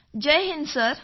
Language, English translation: Marathi, Jai Hind Sir